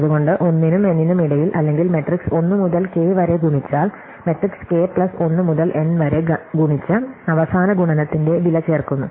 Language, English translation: Malayalam, So, between 1 and n or multiplying the matrices 1 to k, multiplying the matrix k plus 1 to n and adding the cost of the last multiplication